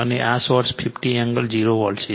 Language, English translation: Gujarati, And this is the source 50 angle 0 volt